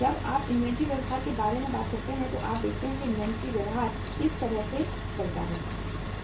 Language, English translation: Hindi, When you talk about the inventory behaviour, you see that inventory behaviour moves like this